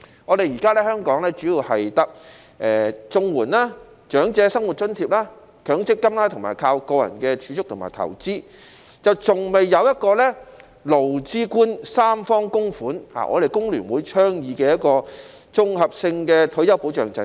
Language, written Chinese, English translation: Cantonese, 現時香港的退休保障主要有綜合社會保障援助、長者生活津貼、強積金，以及個人的儲蓄和投資，還沒有一個勞資官三方供款的制度，即香港工會聯合會倡議的一個綜合性退休保障制度。, At present retirement protection in Hong Kong mainly comprises the Comprehensive Social Security Assistance the Old Age Living Allowance and MPF as well as personal savings and investments . There is not yet a system of tripartite contributions by employees employers and the Government namely a comprehensive retirement protection system advocated by the Hong Kong Federation of Trade Unions FTU